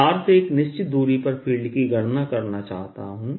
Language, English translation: Hindi, i want to calculate the field at a distance x from the wire